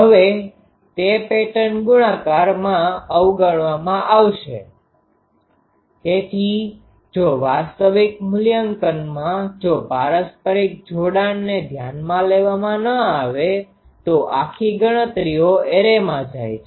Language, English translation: Gujarati, Now, that is neglected in pattern multiplication, so if in an actual evaluation that mutual coupling if it is not taken in to account then the whole calculations goes array